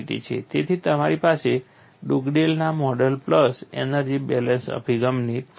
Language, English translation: Gujarati, So, you have a confirmation from Dugdale's model plus energy balance approach